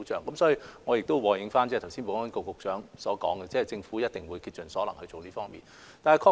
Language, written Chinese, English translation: Cantonese, 因此，我和應保安局局長剛才所說，政府一定會竭盡所能做好這方面的工作。, As such I echo with the earlier remark made by the Secretary for Security that the Government will definitely make its best endeavours to do a good job in this respect